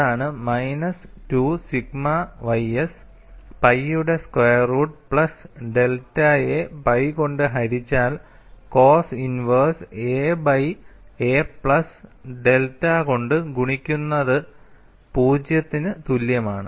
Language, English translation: Malayalam, So, essentially, I get sigma minus 2 sigma ys divided by pi multiplied by cos inverse a by a plus delta equal to 0